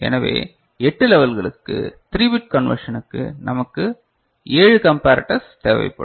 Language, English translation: Tamil, So, for 8 levels, 3 bit conversion, we shall require 7 comparators is it fine right